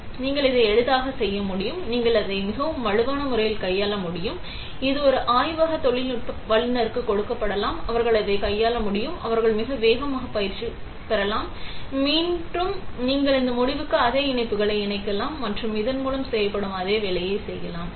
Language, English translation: Tamil, So, you can easily make it, you can handle it very in a very robust manner; it can be given to a lab technician, they can handle it, they can be trained very fast; and you can connect this a same connectors to this end and do the same work that is done by this